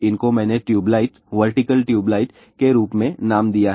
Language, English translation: Hindi, These are I have given name as tube lights, vertical tube lights